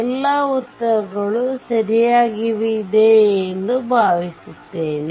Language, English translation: Kannada, Hope all answers are correct